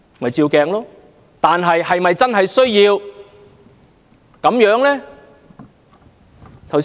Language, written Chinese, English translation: Cantonese, 可是，是否真的需要這樣做呢？, Nevertheless is it really necessary to do so?